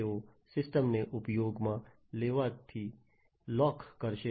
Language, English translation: Gujarati, So, they will lock the system from being used